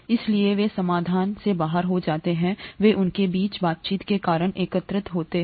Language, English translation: Hindi, Therefore they fall out of solution, they aggregate because of the interactions between them